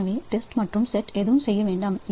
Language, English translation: Tamil, So, while test and set lock do nothing